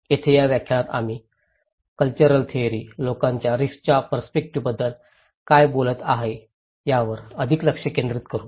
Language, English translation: Marathi, Here, in this lecture, we will focus more what the cultural theory is talking about people's risk perceptions